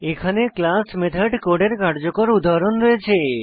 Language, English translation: Bengali, I have a working example of class methods code